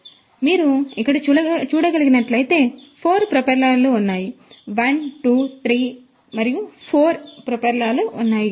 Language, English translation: Telugu, So, as you can see over here there are 4 propellers; 1 2 3 and 4 there are 4 propellers